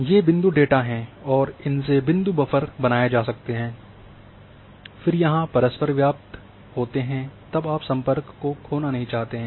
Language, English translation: Hindi, So, these are the point data and the point buffers can be created and having if there is overlap then you not lose the connectivity